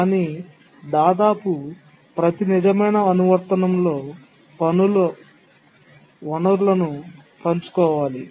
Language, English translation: Telugu, But then in almost every real application the tasks need to share resources